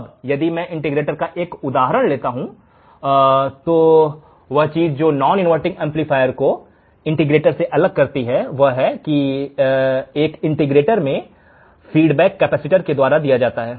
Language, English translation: Hindi, Now, if I take an example of the integrator the thing that is different from a non inverting amplifier is that the main thing in the integrator was that now the feedback is given through the capacitor, so that becomes our integrator